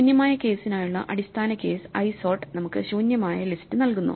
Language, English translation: Malayalam, So, isort of the base case for the empty case just gives us the empty list